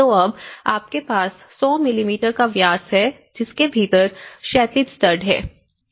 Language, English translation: Hindi, So, now you have the 100 mm diameter and it has embedded the horizontal stud is embedded within it